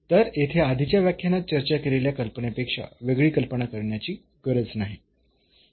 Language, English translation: Marathi, So, here we do not have to use any other idea then the discussed in already in the previous lecture